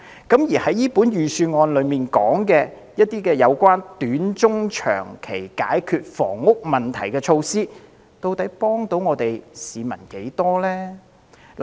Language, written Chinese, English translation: Cantonese, 因此，預算案提出一些有關短、中、長期解決房屋問題的措施，其實可否幫助市民呢？, In this case can the short medium and long - term measures proposed in the Budget to solve housing problems actually help the people?